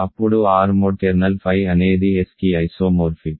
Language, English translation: Telugu, Then R mod kernel phi is isomorphic to S